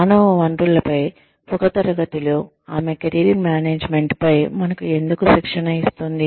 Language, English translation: Telugu, Why is she training us, on Career Management, in a class on Human Resources